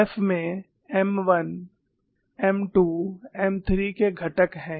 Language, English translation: Hindi, This has component of M 1, M 2, M 3